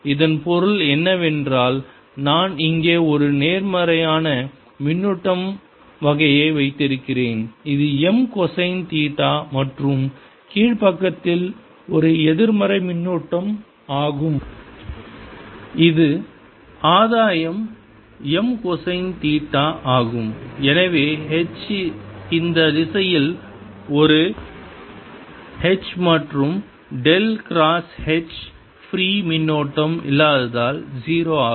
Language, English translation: Tamil, this means i have a positive charge kind of thing out here which is m cosine of theta and a negative charge in the lower side which is gain m cosine theta and therefore the h gives rise to is in this direction an h and del cross h is zero because there's no free current